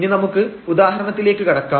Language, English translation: Malayalam, So, let us move to the example here